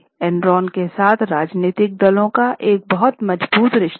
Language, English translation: Hindi, There was a very strong relationship with Enron and political parties